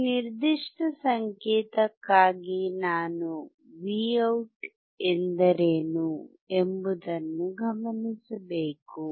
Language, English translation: Kannada, For this particular signal, I have to observe what is Vout